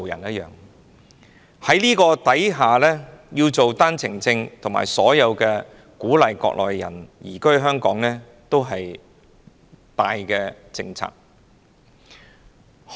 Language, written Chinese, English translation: Cantonese, 在這種情況下，發放單程證鼓勵內地人移居香港，實屬一大政策。, Under these circumstances encouraging Mainlanders to settle in Hong Kong by issuing OWPs is indeed a major policy